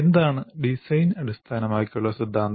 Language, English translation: Malayalam, What is the design oriented theory